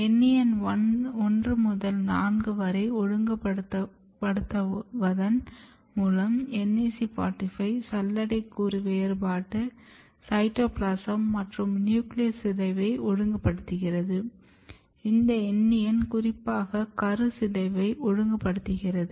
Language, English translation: Tamil, And then, during this process APL is regulating NEN NAC45 and 86, NAC45 is regulating sieve element differentiation, but cytoplasm as well as nuclear degradation, but it is regulating NEN1 to 4 and this NEN is specifically regulating nucleus degradation